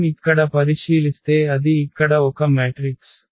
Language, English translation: Telugu, This is the property of the matrix itself